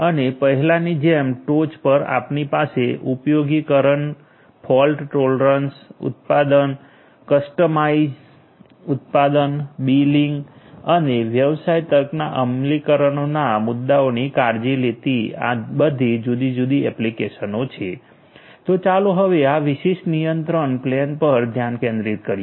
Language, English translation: Gujarati, And on top as before we have all these different applications taking care of issues of utilization, fault tolerance, production, planning, customized production, billing, business logic implementations, and so on so all of these different applications over here